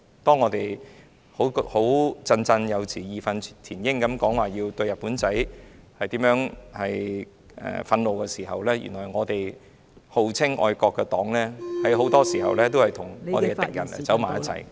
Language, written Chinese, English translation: Cantonese, 當大家振振有詞、義憤填膺地表達對"日本仔"的憤怒時，原來我們號稱愛國的黨......很多時候也與我們的敵人走在一起......, When Members spoke categorically with indignation to express their anger at the Japs the party that claims to be patriotic is actually walking side by side with our enemies most of the time